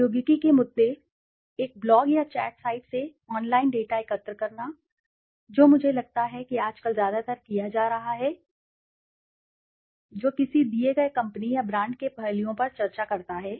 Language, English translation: Hindi, Technology issues, collecting data online from a blog or chat site, which is I think being done nowadays mostly, that discusses aspects of a given company or brand